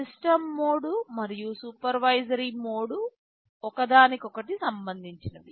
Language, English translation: Telugu, The system mode and supervisory mode are very much related